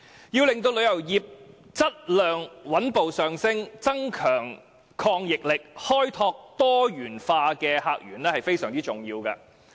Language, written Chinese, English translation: Cantonese, 要令旅遊業質量上升，增強抗逆力，開拓多元化的客源至為重要。, To enhance the quality of our tourism industry and increase its resilience it is very important to look for new source of visitor